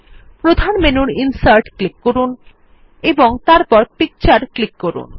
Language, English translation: Bengali, Click on Insert from the Main menu and then click on Picture